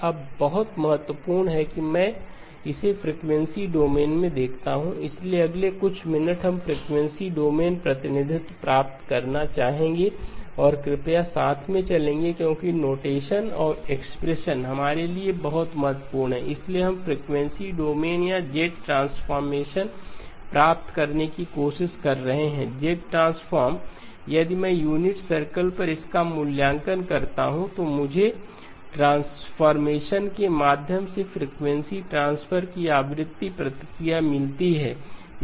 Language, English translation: Hindi, Now very important that I now look at it in the frequency domain, so the next few minutes we would like to obtain the frequency domain representation and please follow along because the notation and the expressions are very, very important for us in our, so we are trying to get the frequency domain or the Z transform, Z transform if I evaluate it on the unit circle gives me the frequency response of frequency transfer via transform